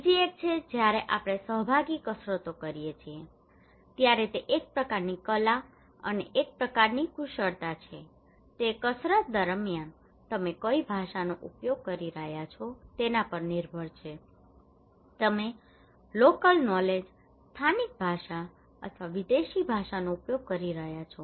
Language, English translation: Gujarati, Another one is that when we conduct participatory exercises, it is a kind of art and a kind of skill, it depends on what language you are using during the exercise, are you using local knowledge, local language or the foreign language